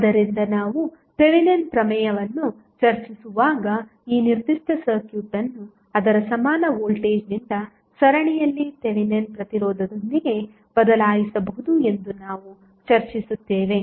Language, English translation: Kannada, So, when we discuss the Thevenin's theorem we discuss that this particular circuit can be replaced by its equivalent voltage in series with Thevenin resistance